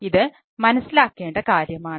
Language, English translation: Malayalam, this is point to be noted